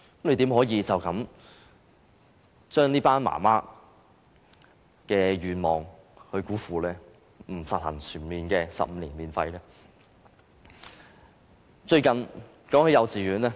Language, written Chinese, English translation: Cantonese, 局長怎可以辜負這群母親的願望，不實行全面的15年免費教育呢？, How can the Secretary shatter the hope of mothers by failing to fully implement 15 - year free education?